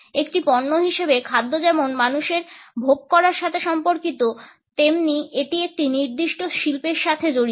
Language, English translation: Bengali, Food as a commodity is related to the consumption by people as well as it is associated with a particular industry